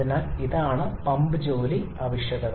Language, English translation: Malayalam, So, this is the pump work requirement